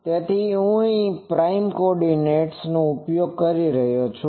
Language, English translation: Gujarati, So, I am using prime coordinates and ok